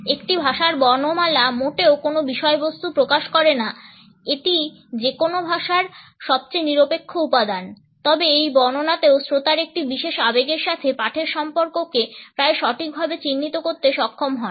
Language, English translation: Bengali, Alphabet of a language does not convey any content at all it is a most neutral component of any language, but even in this recitation audience were able to almost correctly pinpoint the association of a reading with a particular emotion